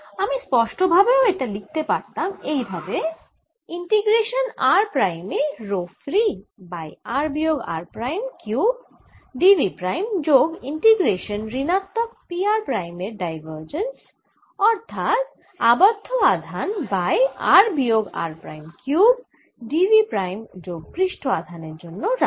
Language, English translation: Bengali, i could have also explicitly written this as: integration: rho free at r prime, r minus r prime divided by r minus r prime cubed d v prime plus integration minus divergence of p